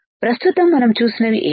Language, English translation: Telugu, So, what we see here